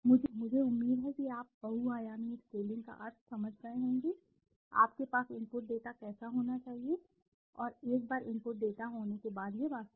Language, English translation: Hindi, I hope you have understood the meaning of multidimensional scaling, how you should have the input data and once you have the input data it is, actually